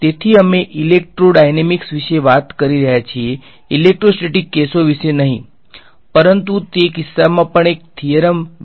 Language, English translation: Gujarati, So, we are talking about electrodynamics not electrostatics cases, but a the theorem could be extended also in that case